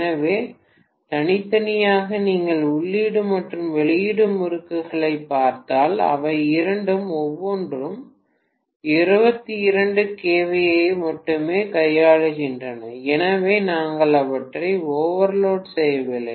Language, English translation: Tamil, So individually if you look at the input and output windings both of them are handling only 22 kVA each, so we are not overloading them, only thing is certainly how come you are having so much of increasing in the kVA